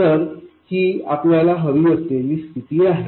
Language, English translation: Marathi, So, this is the condition that we need